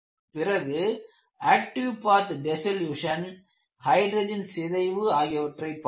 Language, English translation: Tamil, We have looked at active path dissolution, then hydrogen embrittlement